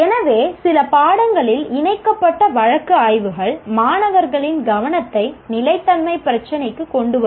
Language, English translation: Tamil, So case studies incorporated in some courses that will bring the attention of the students to sustainability issue